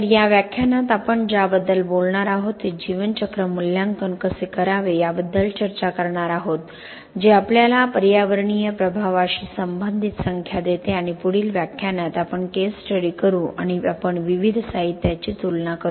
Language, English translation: Marathi, So that is what we are going to talk about in this lecture will discuss how to go about doing life cycle assessment which gives us the numbers which relate to the environmental impact and in the next lecture we will take up a case study and we will compare different materials and see how the process that we discuss in this lecture can be applied